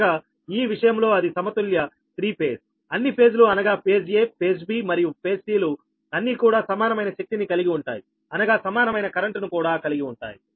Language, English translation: Telugu, in this case, rather than as it is a balanced and all the all, the all the phases, all the phases phase a, phase b and phase c carrying equal power, that means equal current right